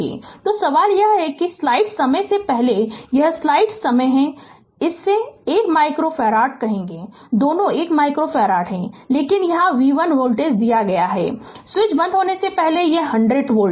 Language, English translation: Hindi, So, question is that before you this this you here what you call this one micro farad both are one micro farad each, but here v 1 is voltage is given before switch is closed it is 100 volt, but here v 2 is equal to 0